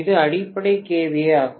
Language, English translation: Tamil, So base kVA is 2